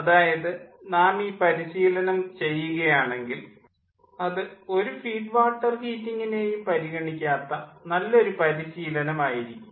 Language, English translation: Malayalam, if we do exercise, it would be a good exercise that do not consider any feed water heating